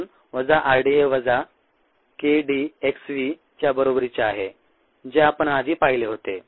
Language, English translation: Marathi, therefore, minus r d equals minus k d x v, which is what we had seen earlier